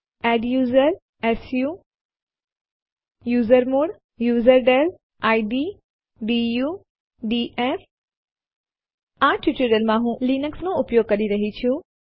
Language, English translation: Gujarati, adduser su usermod userdel id du df I am using Linux for this tutorial